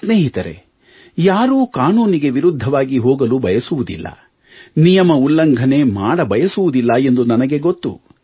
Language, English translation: Kannada, Friends, I know that no one wants to overstep the law and break rules wilfully